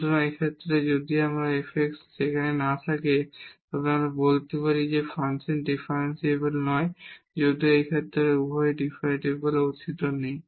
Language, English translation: Bengali, So, in this case if this f x does not exist there itself we can tell that a function is not differentiable though in this case both the derivatives do not exist